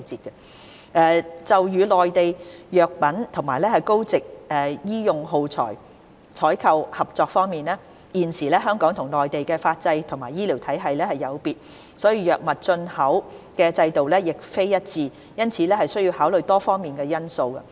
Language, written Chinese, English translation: Cantonese, 三就與內地就藥品及高值醫用耗材採購的合作方面，現時香港與內地的法制及醫療體系有別，藥物進出口的制度亦並非一致，因此須考慮多方面的因素。, 3 As the legal and healthcare systems as well as import and export mechanisms of drugs are different in Hong Kong and the Mainland collaboration with the Mainland in the procurement of drugs and high - value medical consumables involves considerations on various aspects